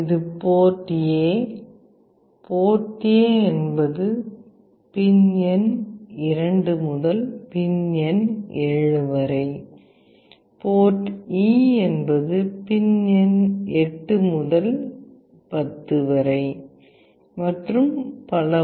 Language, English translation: Tamil, This is port A; port A is from pin number 2 to pin number 7, port E is from pin number 8 to 10, and so on